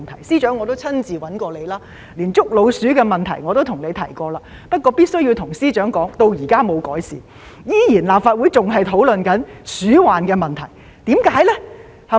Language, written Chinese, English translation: Cantonese, 司長，我也曾經親自找你，連捉老鼠的問題也向你提及；不過，我必須跟司長說，問題至今還沒有改善，立法會仍在討論鼠患的問題。, Secretary I have approached you in person talking about matters including rodent infestation but I must tell you Secretary that rodent problem has shown no improvement so far and it is still being discussed in the Legislative Council